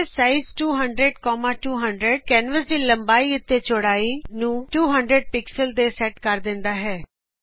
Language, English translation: Punjabi, canvassize 200,200 sets the canvas width and height to 200 pixels